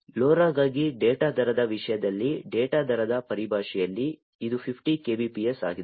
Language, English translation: Kannada, In terms of the data rate in terms of the data rate for LoRa it is 50 kbps